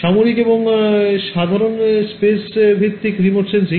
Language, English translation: Bengali, Military and general space based remote sensing